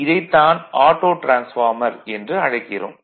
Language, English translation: Tamil, In that case, we call this as a Autotransformer